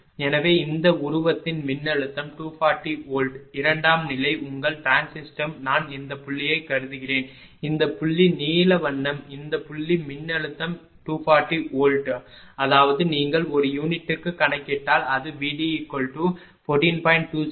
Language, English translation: Tamil, So, but voltage of this figure 240 volts secondary ah your trans system I mean this point suppose this point, this point that is blue colour this point voltage is 240 volt right ; that means, if you drop you compute in per unit it will be 14